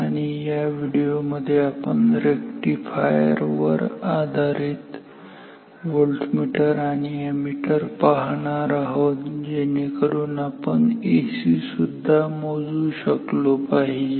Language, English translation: Marathi, And, in this particular video we will talk about Rectifier based Voltmeters and Ammeters so that we can measure AC as well